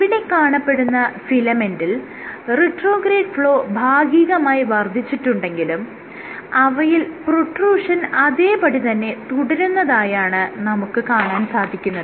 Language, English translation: Malayalam, So, you have this filament your retrograde flow is partially increased, but your protrusion remains the same